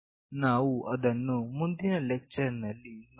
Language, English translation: Kannada, We will look into that in the next lecture